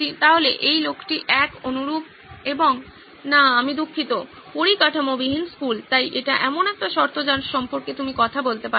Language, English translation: Bengali, So this guy is the one, similar and no, I am sorry, school without the infrastructure, so that is one condition that you can talk about